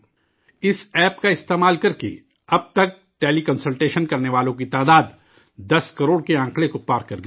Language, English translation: Urdu, Till now, the number of teleconsultants using this app has crossed the figure of 10 crores